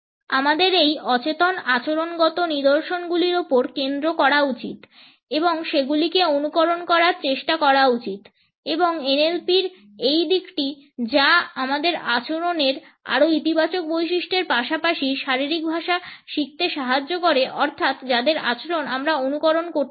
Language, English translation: Bengali, We should focus on these unconscious behavioural patterns and try to emulate them and it is this aspect of NLP which helps us to learn more positive traits of behaviour as well as body language by looking at those people who we want to emulate in our behaviour